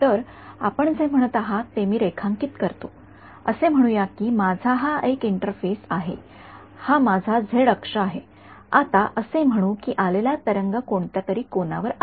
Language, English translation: Marathi, So, let me draw what you are saying you are saying let us say I have an interface like this is my z axis let say now the wave come that it at some angle right